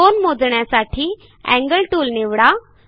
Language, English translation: Marathi, Click on the Angle tool..